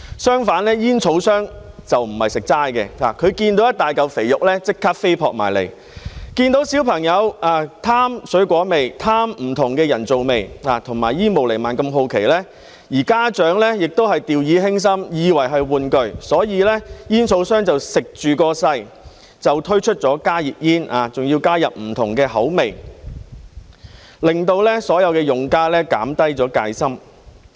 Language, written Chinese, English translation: Cantonese, 相反，煙草商不是吃素的，他們見到一大塊肥肉便立即飛撲過來，見到小朋友貪愛水果味和不同的人造味，以及對煙霧彌漫如此好奇，而家長亦掉以輕心，以為是玩具，於是煙草商便乘勢推出加熱煙，還加入不同的口味，令到所有用家減低了戒心。, On the contrary tobacco companies are not charities . At the sight of a big pie they immediately tried to grab it . Seeing that children love fruity and different artificial flavours and are curious about the emission of smoke while parents take the products lightly mistaken that they are toys tobacco companies have exploited the situation and introduced heated tobacco products HTPs with various flavours thus making all the users less wary